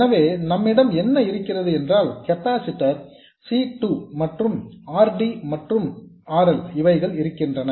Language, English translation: Tamil, All we have is a capacitor C2 and RD and RL